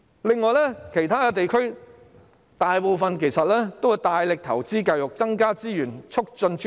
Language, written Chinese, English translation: Cantonese, 此外，大部分其他地區均大力投資教育，增加資源，促進專業。, Besides most other regions have heavily invested in education and increased resources to enhance the profession